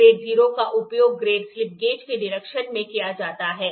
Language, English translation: Hindi, Grade 0 is used in inspection grade slip gauges